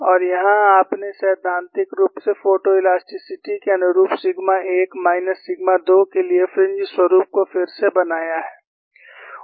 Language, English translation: Hindi, And here you have, experiment and theoretically reconstructed fringe patterns for sigma 1 minus sigma 2, corresponding to photo elasticity